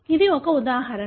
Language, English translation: Telugu, This is one example